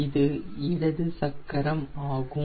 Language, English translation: Tamil, this is the left wheel